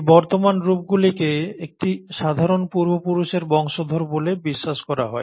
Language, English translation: Bengali, And these present forms are believed to be the descendants of a common ancestor